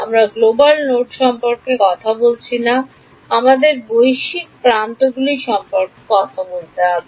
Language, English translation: Bengali, We are not talking about global nodes we have to talk about global edges